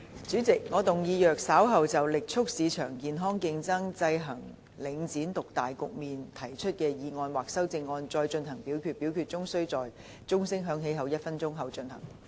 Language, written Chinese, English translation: Cantonese, 主席，我動議若稍後就"力促市場健康競爭，制衡領展獨大局面"所提出的議案或修正案再進行點名表決，表決須在鐘聲響起1分鐘後進行。, President I move that in the event of further divisions being claimed in respect of the motion on Vigorously promoting healthy market competition to counteract the market dominance of Link REIT or any amendments thereto this Council do proceed to each of such divisions immediately after the division bell has been rung for one minute